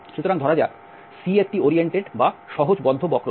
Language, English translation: Bengali, So that let the C be an oriented or the simple closed curve